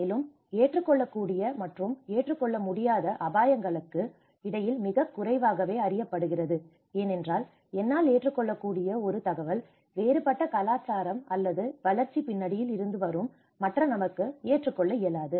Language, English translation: Tamil, Also, very less is known between the acceptable and unacceptable risks because what is acceptable to me may not be acceptable to the other person who come from a different cultural or a development background